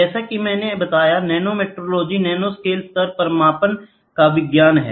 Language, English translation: Hindi, As I told, nanometrology is the talk of the term, nanometrology is the science of measurement at nanoscale levels